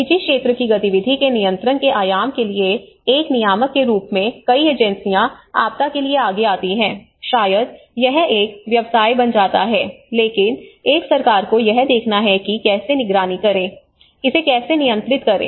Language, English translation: Hindi, As a regulators for the control dimension of it where of private sector activity because many agencies come forward for disaster maybe it becomes a business, but a government has to look at how to monitor, how to control this